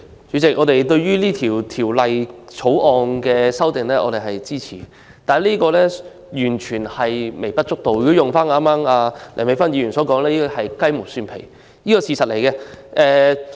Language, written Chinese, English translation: Cantonese, 主席，我們支持《2019年選舉法例條例草案》，但這些修訂完全是微不足道，如果套用剛才梁美芬議員的說法，是雞毛蒜皮的修訂。, President we support the Electoral Legislation Bill 2019 the Bill . However the proposed amendments are insignificant or trivial as Dr Priscilla LEUNG said earlier